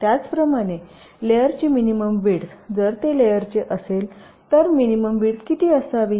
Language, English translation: Marathi, similarly, minimum widths of the layers: if it is metal, what should be the minimum width